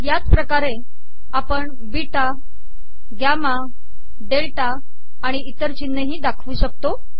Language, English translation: Marathi, Similarly we write beta, gamma, delta and so on